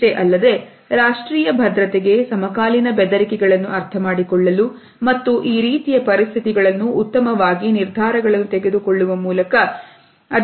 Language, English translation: Kannada, They are also significant for understanding contemporary threats to national security as well as in similar other situation